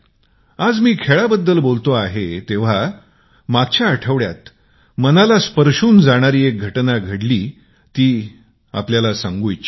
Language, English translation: Marathi, I speak about sports today, and just last week, a heartwarming incident took place, which I would like to share with my countrymen